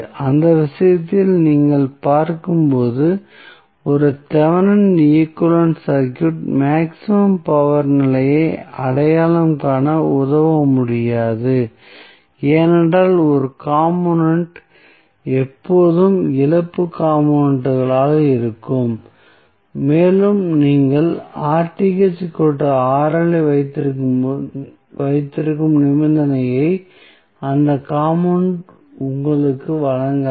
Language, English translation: Tamil, And in that case the circuit which you see as a Thevenin equivalent will not be able to help in identifying the maximum power condition why because there would be 1 component which is always be a loss component and that component will not give you the condition under which you have the Rth equal to Rl